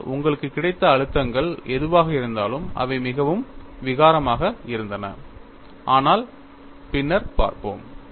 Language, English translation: Tamil, But, whatever the stresses that you have got, they were looking very clumsy, but we will see later